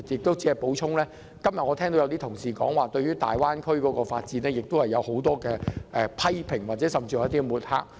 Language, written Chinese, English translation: Cantonese, 我想補充，今天部分議員對於粵港澳大灣區發展有很多批評，甚至作出抹黑。, I would like to add that some Members strongly criticized and even smeared the development of the Guangdong - Hong Kong - Macao Greater Bay Area today